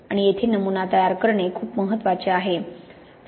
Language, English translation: Marathi, And here sample preparation is very important